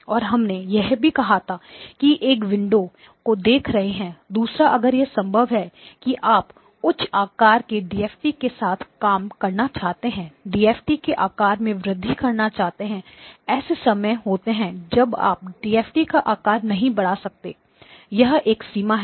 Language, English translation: Hindi, And we also said that that one is looking at the window; second if it is possible you would want to work with a higher size DFT; increase the size of the DFT; increase the size of the DFT; there are times when you cannot increase the size of the DFT; when can you cannot increase the size of the DFT, well that is one such one such limitation